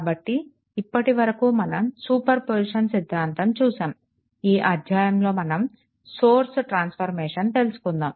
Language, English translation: Telugu, So, so far we have seen that your super position theorem, next we will go for source transformation